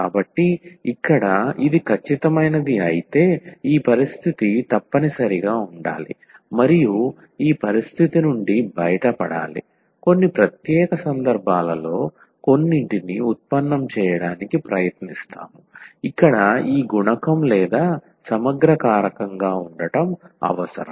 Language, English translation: Telugu, So, here if this is exact then this condition must hold and out of this condition we will try to derive some in some special cases this I here which we need as this multiplier or the integrating factor